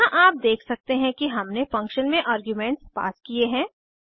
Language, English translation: Hindi, Here you can see that we have passed the arguments within the function